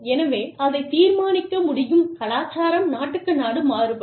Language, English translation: Tamil, So, that can also be determined by, it varies from culture to culture, country to country